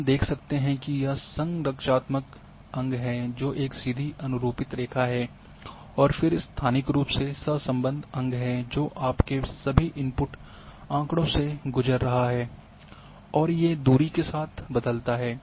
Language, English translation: Hindi, So, we can see that this is structural component which is the straight line fit and then we can have a spatially correlated component which is going through all your input data which is varying with the distance